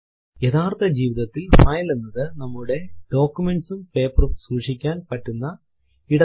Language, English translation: Malayalam, In real file a file is where we store our documents and papers